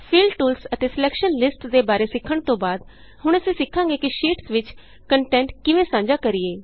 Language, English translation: Punjabi, After learning about the Fill tools and Selection lists we will now learn how to share content between sheets